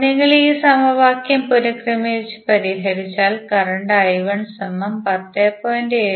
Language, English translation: Malayalam, If you rearrange and solve this equation the current I 1 which you will get is 10